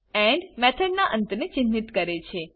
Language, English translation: Gujarati, end marks the end of method